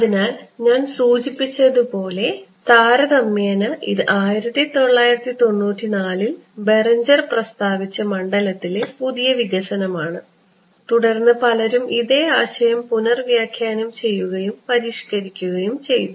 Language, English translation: Malayalam, So, as I mentioned this is a relatively new development in the field proposed by Berenger in 1994 and subsequently many people have reinterpreted and reformulated the same idea ok